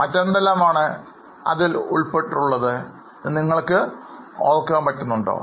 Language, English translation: Malayalam, Do you remember what else is there